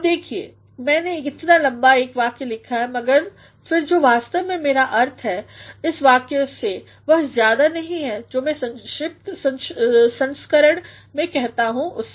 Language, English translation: Hindi, Now, see, I have written a long sentence but then what actually I mean by this long sentence is nothing more than what I say in the revised version